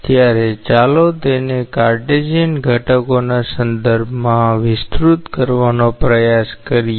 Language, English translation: Gujarati, So, let us try to expand it in terms of its Cartesian components